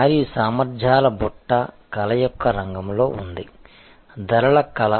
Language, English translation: Telugu, And those basket of capabilities are in the realm of art, art of pricing